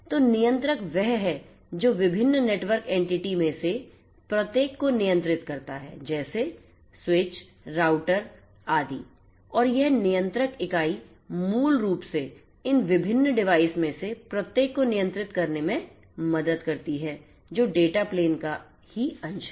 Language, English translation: Hindi, So, that controller is the one which is going to control each of these different network entities which are there like switches, routers etcetera and this controller entity the network entity controller basically is going to help in controlling each of these different devices which are part of the data plane